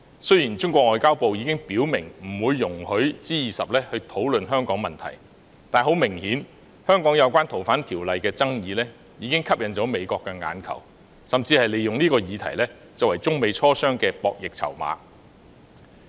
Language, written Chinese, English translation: Cantonese, 雖然中國外交部已表明不會容許在 G20 峰會討論香港問題，但很明顯，香港有關《條例》的爭議已吸引了美國的眼球，美國甚至利用這項議題作為中美磋商的博弈籌碼。, Although the Ministry of Foreign Affairs of China has made it clear that it would not allow discussion about the problems of Hong Kong at the G20 Osaka Summit it is obvious that the controversy over FOO in Hong Kong has caught the eye of the United States which even uses this issue as a bargaining chip in its negotiations with China . However some people opposing the amendment exercise wish to resort to international pressure